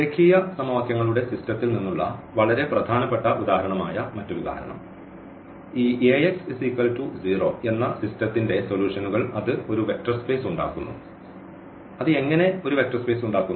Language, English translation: Malayalam, So, another example which is also a very important example from the system of linear equations; so, the solution of this Ax is equal to 0 this form a vector space and how it forms a vector space